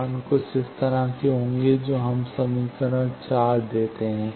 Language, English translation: Hindi, The values will be something like this that gives us 4th equation